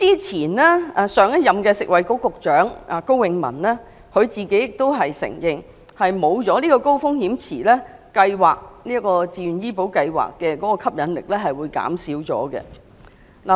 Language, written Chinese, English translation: Cantonese, 前任食物及衞生局局長高永文亦承認，如不設立高風險池，這項自願醫保計劃的吸引力會減少。, Former Secretary for Food and Health Dr KO Wing - man had also admitted that VHIS would lose its appeal without the inclusion of HRP